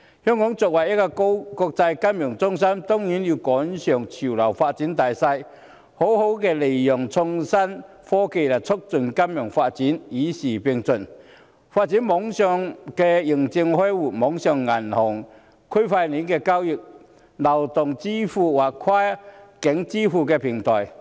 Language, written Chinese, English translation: Cantonese, 香港作為國際金融中心，當然要趕上潮流發展的大勢，好好利用創新科技來促進金融發展，與時並進，發展網上認證開戶、網上銀行、區塊鏈交易、流動支付或跨境支付平台。, As an international financial centre Hong Kong must catch up with the prevailing trend by exploiting IT to facilitate financial development and develop online certification for account opening online banking blockchain transactions mobile payments or cross - boundary payment platforms to keep abreast of the times